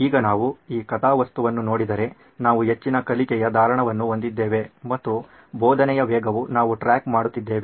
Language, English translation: Kannada, So now if we look at this plot we have a high learning retention and the pace of teaching is what we are tracking